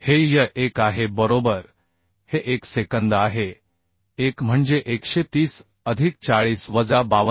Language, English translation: Marathi, 14 this is y1 right This is one second one is 130 plus 40 minus 52